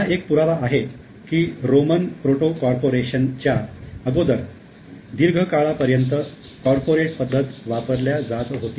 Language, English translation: Marathi, Now, this provides the evidence for the use of corporate form for a very long time much before the Roman proto corporations